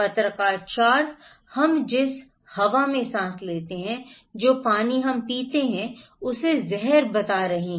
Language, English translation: Hindi, Journalist 4 is reporting poisoning the air we breathe, the water we drink